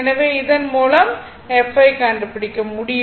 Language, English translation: Tamil, So, this way you can find out what is the value of the f right